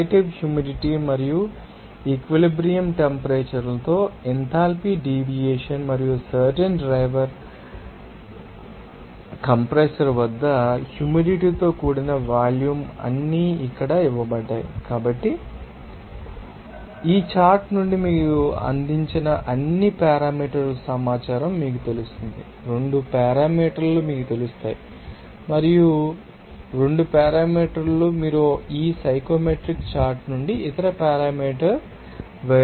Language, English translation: Telugu, And that you know that relative humidity and you know enthalpy deviation with saturation temperatures are and also you can say that what will be the humid volume at that particular you know driver compressor all are given here So, from this chart you will get that information of all those parameters provided 2 parameters will be known to you, and from those 2 parameters you will be able to you know, you know read that other parameter other you know variables from this psychometric chart